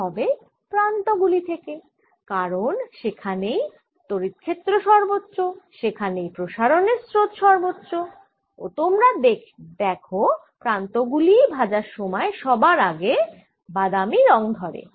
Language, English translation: Bengali, it will from the edges, because that is where electric field is maximum and that is where the current of diffusion would be maximum, and you should see the edges getting brown faster, and that is indeed what happens, right